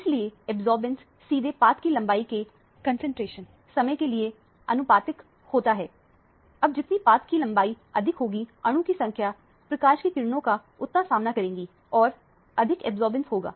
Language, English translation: Hindi, So, the absorbance is directly proportional to the concentration times the path length, longer the path length the more number of molecule the beam of light will encounter and more absorbance will take place